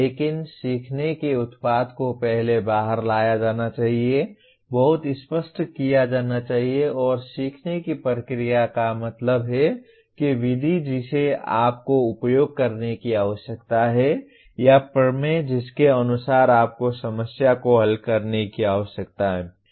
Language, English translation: Hindi, But learning product should be brought out first, should be made very clear and the learning process that means the method that you need to use or the theorem according to which you need to solve the problem